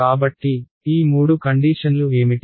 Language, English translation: Telugu, So, what are these three conditions